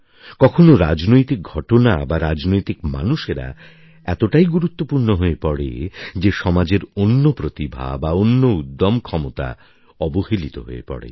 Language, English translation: Bengali, At times, political developments and political people assume such overriding prominence that other talents and courageous deeds get overshadowed